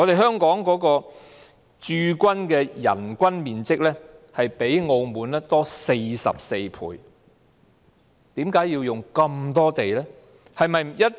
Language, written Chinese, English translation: Cantonese, 香港駐軍的人均面積較澳門多44倍，為甚麼要用那麼多土地？, The per capita area used by the Hong Kong Garrison is 44 times that of the military personnel in Macao . Why do they need so much land?